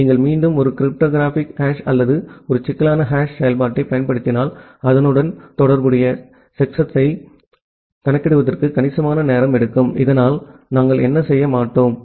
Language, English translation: Tamil, And if you are again apply a cryptographic hash or a complicated hash function here, it will take a significant amount of time to compute that corresponding checksum, so that we do not what